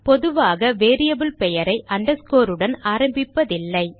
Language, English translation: Tamil, But generally underscore is not used to start a variable name